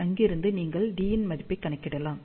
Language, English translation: Tamil, So, from there you can calculate the value of d